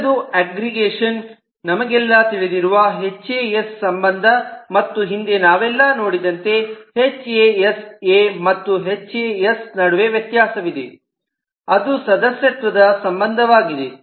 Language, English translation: Kannada, the next is the aggregation which we know hasa relationship and we have seen earlier that there is a difference between hasa and has, which is a membered relationship